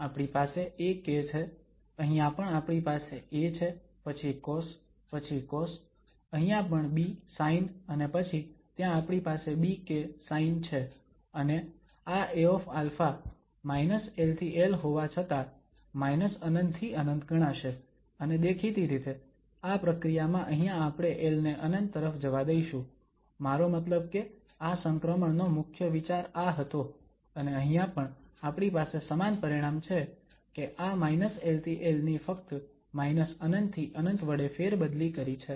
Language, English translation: Gujarati, We have ak, here also we have A then cos, then cos, here also B sine and then we have there also b sine and this A alpha is going to be computed with this minus infinity to plus infinity though here it was minus l to l and obviously in the process here we let this l to infinity, I mean that was the whole idea of this transition and here also we have a similar result that these minus l to plus l is just replaced by the minus infinity to plus infinity